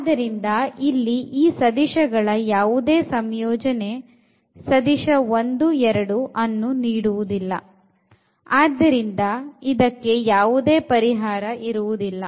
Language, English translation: Kannada, So, here any linear combination of these two vectors will not give us the vector 1 in 2 and hence this is the case of no solution